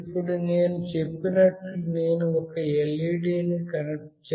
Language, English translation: Telugu, Now as I said I have also connected an LED